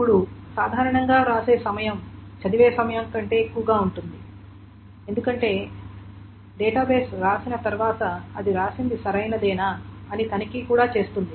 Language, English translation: Telugu, Now, generally writing time is more than the reading time because once the database writes, it also checks whether the whatever has been written is correct